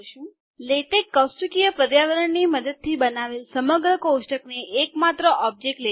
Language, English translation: Gujarati, Latex treats the entire table created using the tabular environment as a single object